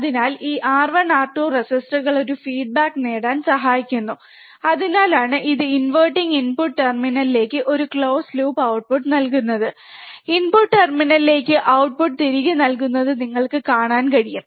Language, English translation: Malayalam, So, this R 1 R 2 resistors help to get a feedback, and that is why it is a close loop output is fed back to the inverting input terminal you can see output is fed back to the inverting input terminal, input signal is applied from inverting input terminal we have already seen the input signal is applied to the inverting input terminal, right